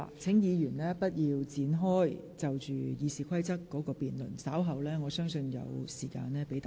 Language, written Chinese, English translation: Cantonese, 請議員現在不要就修訂《議事規則》展開辯論，稍後會有時間讓各位就此發言。, Please do not debate on the amendments to the Rules of Procedure now . You will be given time later to speak on this subject